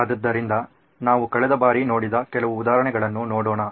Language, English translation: Kannada, So let’s look at some of the examples we looked at last time